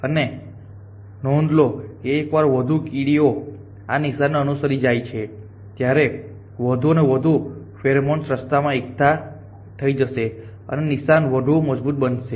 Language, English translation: Gujarati, And notice that once more and more ants go along with trail more and more pheromone will be deposited along the way and the kale becomes strong and stronger